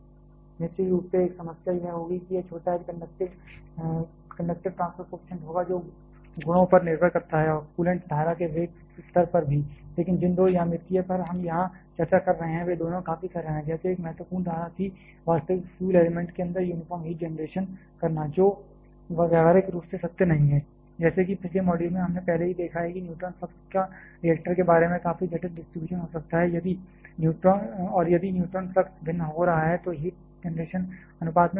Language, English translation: Hindi, One problem of course, will be this small h the conductive transfer coefficient which depends on the properties and also the velocity level of the coolant stream itself, but the two geometries that we are discussed here both are quite simple, like one important assumption was the uniform heat generation that we are having inside the real fuel element which practically is not true, like in the previous module already we have seen that neutron flux can have quite complicated distribution about the reactor and if the neutron flux is varying then the heat generation has to be varying in proportion